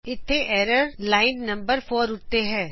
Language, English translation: Punjabi, Here the error is in line number 4